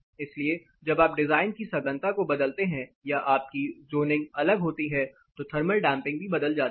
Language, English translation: Hindi, So, moment you change the design compactness your zoning is different thermal damping is going to vary